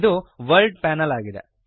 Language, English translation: Kannada, This is the World panel